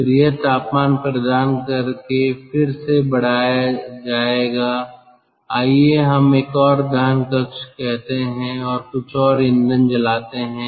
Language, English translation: Hindi, then its temperature will be increased again by providing, lets say, another combustion chamber and burning some more fuel